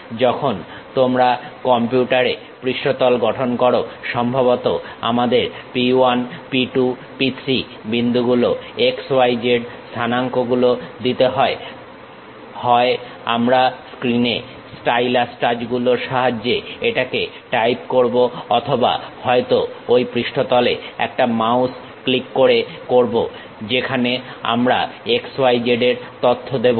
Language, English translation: Bengali, When you are constructing surface on computer, perhaps we may have to give points P 1, P 2, P 3; x, y, z coordinates either we type it using stylus touch the screen or perhaps with mouse click on that surface, where we will give x, y, z information